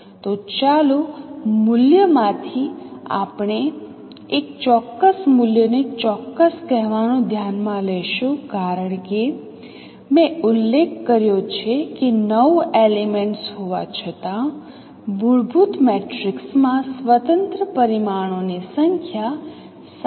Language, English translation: Gujarati, So one of the value let us consider set to certain particular value because I mentioned that though there are nine elements number of independent parameters in a fundamental matrix is 7